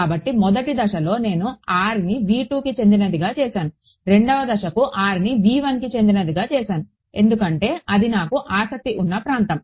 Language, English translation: Telugu, So, in step 1 I made r belong to v 2 in step 2 I make r belong to v 1 because that is my region of interest